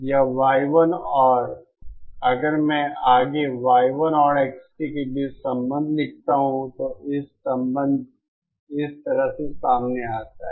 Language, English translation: Hindi, This Y 1 and if I further write the relationship between Y 1 and X t, the relationship comes out like this